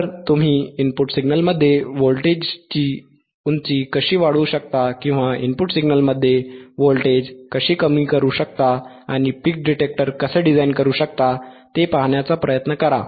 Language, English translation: Marathi, So, this is how you can you can increase the voltage height and in the input signal or decrease voltage in the input signal and try to see how you can how you can design the peak detector